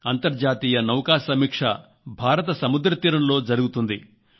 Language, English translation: Telugu, International Fleet Review is happening on the coastal region of India